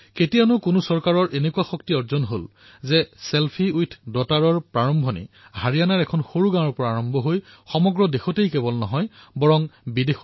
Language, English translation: Assamese, Who would have imagined that a small campaign "selfie with daughter"starting from a small village in Haryana would spread not only throughout the country but also across other countries as well